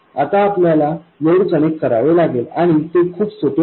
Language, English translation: Marathi, Now we have to connect the load and that is very easy